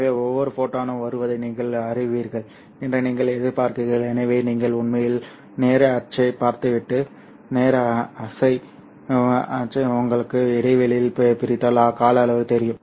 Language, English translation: Tamil, So this is what you expect, you know, each photon coming in and therefore if you actually look at time axis and then divide time axis into intervals of, you know, T duration, then see the number of photons here